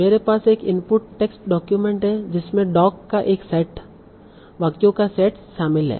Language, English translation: Hindi, So I have an input text document that contains a set of sentences